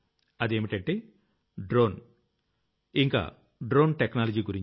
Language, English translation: Telugu, This topic is of Drones, of the Drone Technology